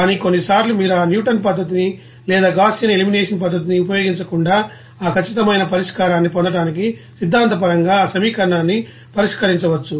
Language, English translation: Telugu, So, that you can get that solution of there but sometimes you will see that without using that you know Newton's method or Gaussian elimination method you can solve that equation theoretically to get that exact solution there